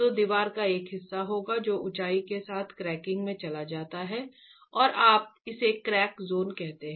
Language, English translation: Hindi, So there will be a part of the wall which goes into cracking along the height and you call that the crack zone